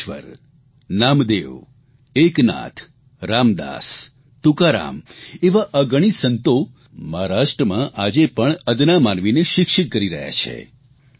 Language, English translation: Gujarati, Innumerable saints like Gyaneshwar, Namdev, Eknath, Ram Dass, Tukaram are relevant even today in educating the masses